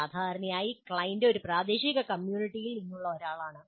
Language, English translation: Malayalam, Usually the client is someone from a local community